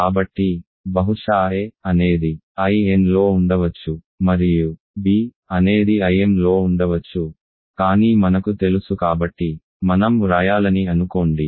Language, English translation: Telugu, So, maybe a is in I n and b is in I m, but we know that so, assume I should write